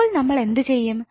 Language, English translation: Malayalam, So now what we have to do